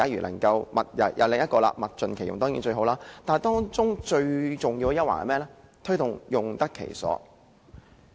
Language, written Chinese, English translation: Cantonese, 能夠物盡其用，當然是最好，但最重要是推動產品用得其所。, It is certainly desirable to make the best use of everything but more importantly the Government should encourage proper use of products